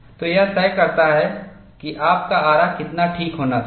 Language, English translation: Hindi, So, that dictates how fine your saw should be